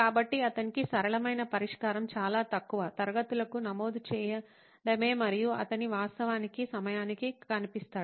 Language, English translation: Telugu, So the simplest solution for him is to enrol for very few classes and he would actually show up on time